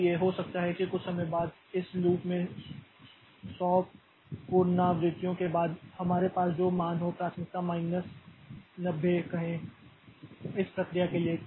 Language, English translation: Hindi, So, maybe after some time after some hundred iterations of this loop the value that we have here is say 9, say minus 90 for this priority for this process